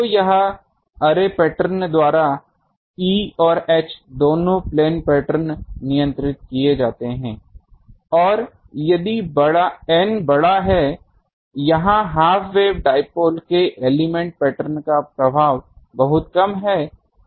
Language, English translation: Hindi, So, here both E and H plane patterns are governed by array pattern and if n is large; the element pattern of half wave dipole has little effect here